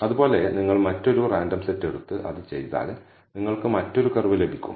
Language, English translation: Malayalam, Similarly, if you take another random set and do it, you will bet another curve